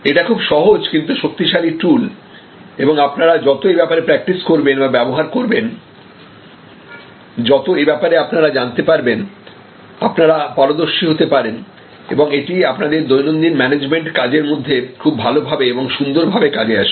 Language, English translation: Bengali, Very simple tool,, but it is a very powerful tool and then more you are practice and more you use you will get a hang of it and you will become an expert and it will really be an excellently useful tool that you can use in your day to day management task